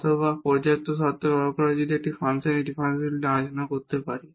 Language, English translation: Bengali, Or using the sufficient conditions also we can discuss the differentiability of a function